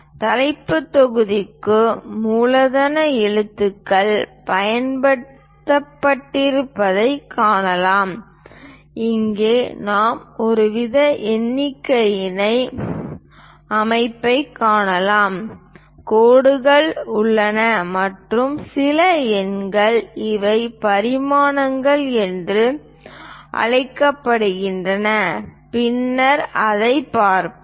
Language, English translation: Tamil, We can see that capital letters have been used for the title block and here we can see some kind of numbering kind of system, there are lines and some numbers these are called dimensions and we will see it later